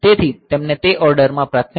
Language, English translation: Gujarati, So, they have got the priorities in that order